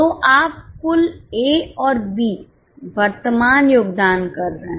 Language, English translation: Hindi, So, you are having total A and B current contributions